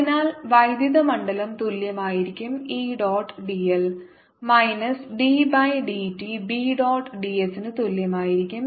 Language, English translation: Malayalam, so this is given as the electric field, given as e dot d l is equal to minus d by d t of b dot d s